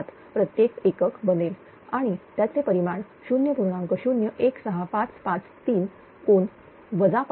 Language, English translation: Marathi, 007 per unit and its magnitude will be 0